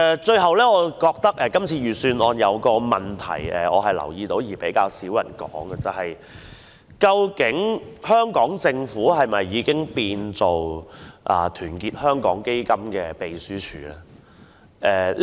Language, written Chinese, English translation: Cantonese, 最後，我發現預算案有一個問題，但卻較少人提出：究竟香港政府是否已淪為團結香港基金的秘書處？, Last but not least I find something awkward about the Budget which fewer people have mentioned Could it be the case that our Government has been reduced to some sort of secretariat for Our Hong Kong Foundation?